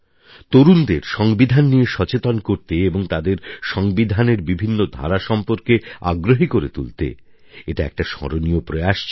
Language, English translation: Bengali, This has been a memorable incident to increase awareness about our Constitution among the youth and to connect them to the various aspects of the Constitution